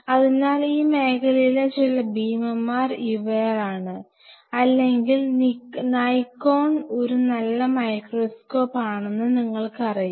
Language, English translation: Malayalam, So, where these are some of the giants in the field or Nikon as a matter of fact you know to have a good dissecting microscope